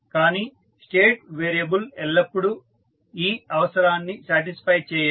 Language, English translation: Telugu, But, a state variable does not always satisfy this requirement